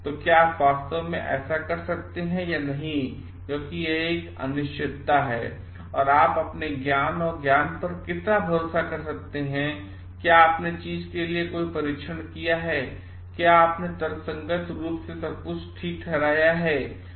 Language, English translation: Hindi, So, can you really do it or not so because it is an uncertainty and how much you can rely on your knowledge and wisdom, have you tested for everything, have you rationally justified for everything